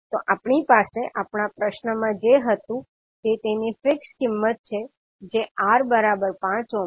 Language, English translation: Gujarati, So what we had in our question is its fix value as R equal to 5ohm